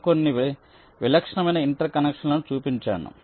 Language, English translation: Telugu, so i have shown some typical interconnections